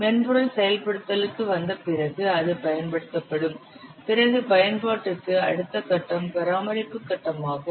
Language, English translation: Tamil, After the software is put into use, after it is deployed, so next phase is maintenance phase